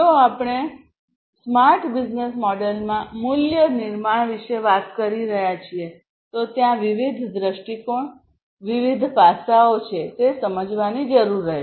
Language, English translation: Gujarati, So, you know, if we are talking about the value creation in a smart business model, there are different perspectives different aspects that will need to be understood